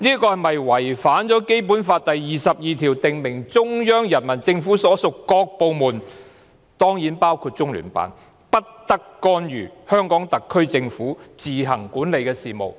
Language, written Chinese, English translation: Cantonese, 這是否違反了《基本法》第二十二條訂明，中央人民政府所屬各部門——當然包括中聯辦——不得干預香港特區政府管理的事務？, Is that a violation of Article 22 of the Basic Law which states that no department of the Central Peoples Government―the Liaison Office is surely one of the departments―may interfere in the affairs which the HKSAR Government administers on its own?